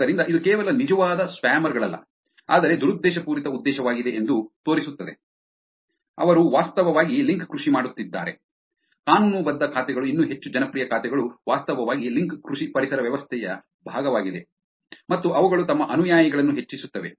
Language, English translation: Kannada, So, this is also showing that it is not just the real spammers, but malicious intention, they actually doing link farming; even legitimate accounts even more so popular accounts are actually part of the link farming ecosystem and they increase their followers